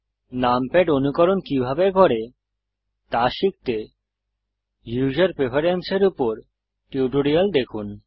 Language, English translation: Bengali, To learn how to emulate numpad, see the tutorial on User Preferences